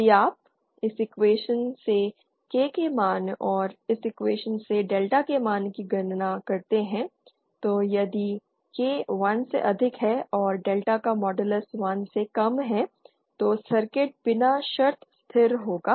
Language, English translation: Hindi, If you compute this value of K from this equation and the value of delta from this equation then if K is greater than 1 and the modulus of delta is lesser than 1 then the circuit will be unconditionally stable